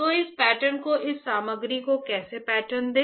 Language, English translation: Hindi, So, how to pattern this pattern this material